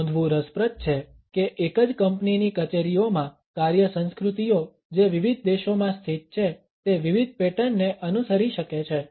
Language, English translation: Gujarati, It is interesting to note that the work cultures in the offices of the same company, which are located in different countries, may follow different patterns